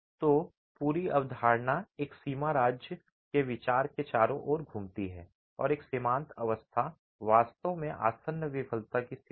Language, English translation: Hindi, So, the whole concept revolves around the idea of a limit state and a limit state is really a state of impending failure